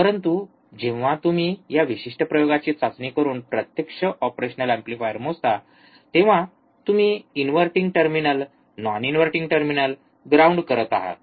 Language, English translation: Marathi, But when you actually measure the operational amplifier by testing this particular experiment, that is you keep inverting terminal ground, non inverting terminal ground